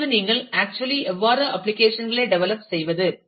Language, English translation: Tamil, Now, coming to how do you actually develop applications